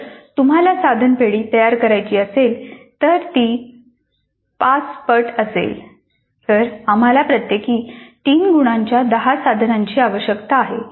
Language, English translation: Marathi, So if you want to create an item bank which is five times that then we need 10 items of three marks each